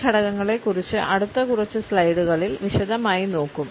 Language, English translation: Malayalam, These aspects we would take up in detail in the next few slides